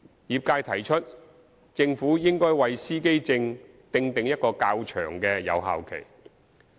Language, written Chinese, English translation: Cantonese, 業界提出政府應為司機證訂定一個較長的有效期。, The trades suggest that the Government should stipulate a longer validity period for driver identity plates